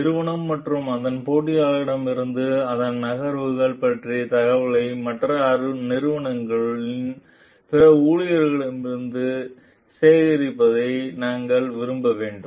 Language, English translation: Tamil, We have to like gather information about the company and its moves from its competitors maybe from other employees of other organizations